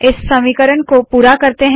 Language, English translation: Hindi, Lets complete this equation